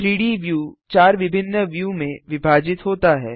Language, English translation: Hindi, The 3D view is divided into 4 different views